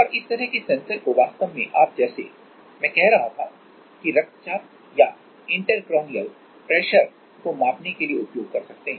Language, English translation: Hindi, And this kind of sensors you can actually use for measuring like, I was saying that blood pressure or like intercranial pressure